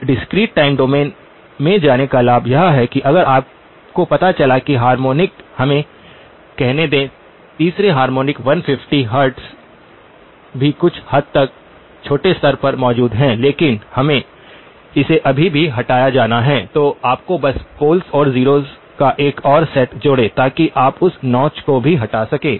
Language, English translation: Hindi, Now the advantage of going to the discrete time domain is that if you found out that the harmonic let us say the third harmonic 150 hertz also is present to some degree to a smaller level but it still has to be removed, you just have to add another set of poles and zeros so that you can remove that notch as well